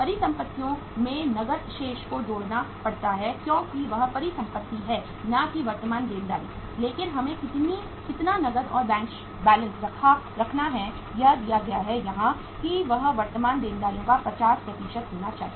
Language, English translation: Hindi, The cash balance has to be added in the assets because cash is the asset it is not a liability but how much cash and bank balance we have to keep is it is given here that, that should be 50% of the current liabilities